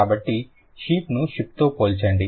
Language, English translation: Telugu, So, compare sheep with ship